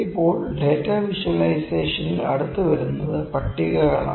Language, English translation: Malayalam, Now, next in data visualisation next comes is tables